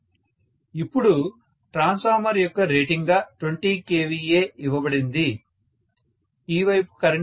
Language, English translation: Telugu, Now, 20 kVA is given as 20 kVA is given as the rating of the transformer, how much is the current on this side